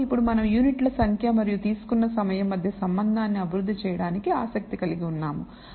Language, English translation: Telugu, So, we are interested in developing a relationship between number of units and the time taken by something or vice versa now